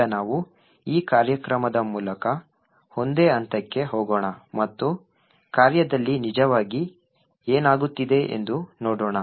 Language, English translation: Kannada, Now let us single step through this program and see what is actually happening in function